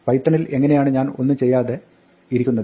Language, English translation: Malayalam, How do I do nothing in Python